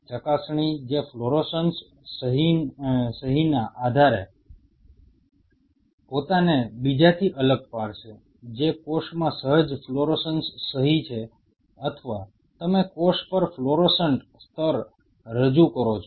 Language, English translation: Gujarati, The probe which will distinguish oneself from another based on the fluorescence signature which, either the cell has an inherent fluorescence signature or you introduce a fluorescent level on the cell